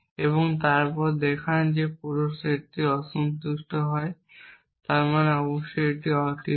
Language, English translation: Bengali, And then show the whole set becomes unsatisfiable which means of course, this is unsatisfiable